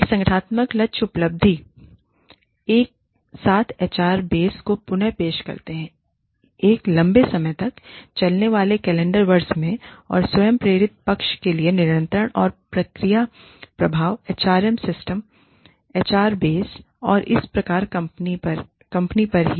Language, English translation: Hindi, An organizational goal achievement, while simultaneously reproducing the HR base, over a long lasting calendar year, and controlling for self induced side, and feedback effects, on the HR systems, on the HR base, and thus on the company itself